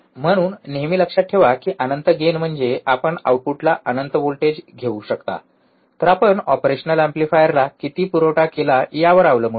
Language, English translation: Marathi, So, this always remember do not get confuse that oh infinite gain means that we can have infinite voltage at the output, no, it depends on how much supply you have given to the operational amplifier, alright